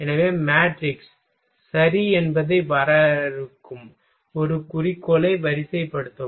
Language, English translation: Tamil, So, rank one objective defining performing matrix ok